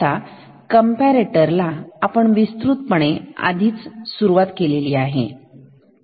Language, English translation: Marathi, Now, comparator we already have started in much detail